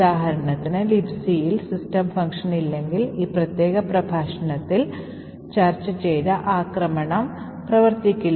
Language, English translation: Malayalam, For example, if the LibC does not have a system function, then the attack which we have discussed in this particular lecture will not function